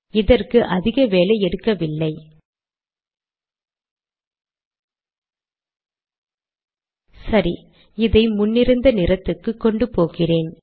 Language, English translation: Tamil, So what I will do is, I will take this back to the original color